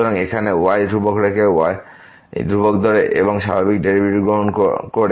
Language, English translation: Bengali, So, keeping here constant; treating constant and taking the usual derivative